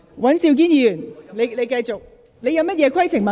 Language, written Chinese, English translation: Cantonese, 許智峯議員，你有甚麼規程問題？, Mr HUI Chi - fung what is your point of order?